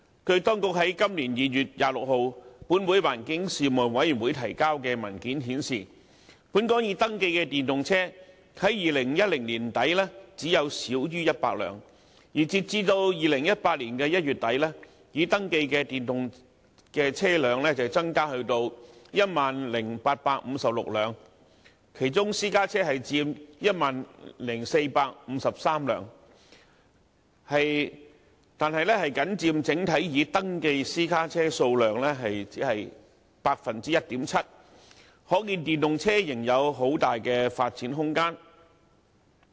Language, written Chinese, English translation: Cantonese, 據當局在今年2月26日，向立法會環境事務委員會提交的文件顯示，本港已登記的電動車，在2010年年底只有少於100輛，而截至2018年1月底，已登記的電動車增加至 10,856 輛，其中私家車佔 10,453 輛，但僅佔整體已登記私家車數量 1.7%， 可見電動車仍有很大的發展空間。, It is shown in the Administration paper submitted to the Panel on Environmental Affairs of this Council on 26 February this year that the number of registered EVs in Hong Kong was less than 100 as at the end of 2010 but it has increased to 10 856 as at the end of January 2018 of which 10 453 being electric private cars accounting only for 1.7 % of the total number of registered private cars . This means that there is still considerable room for promoting the use of EVs